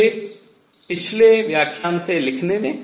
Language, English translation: Hindi, Let me write in the previous lecture